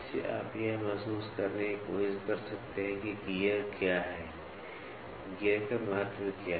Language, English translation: Hindi, With this you can try to have a feel what is gear, what is the importance of gear